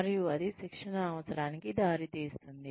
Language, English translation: Telugu, And, that results in a training need